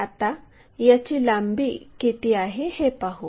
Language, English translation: Marathi, And, let us find what are that lengths